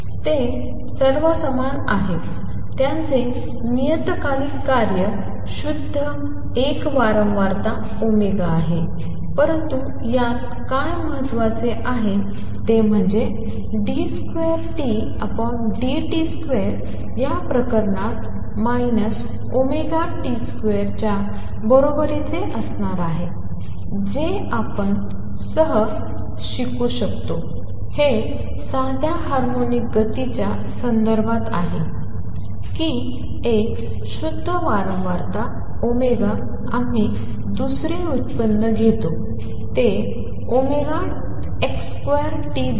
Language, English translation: Marathi, They are all the same thing; their periodic function pure a single frequency omega, but what is important in this is that d 2 t by d t square in this case is going to be equal to minus omega square T that you can easily check you have learnt this in the context of simple harmonic motion that a pure frequency omega we take the second derivative is respect to time it gives you omega x square t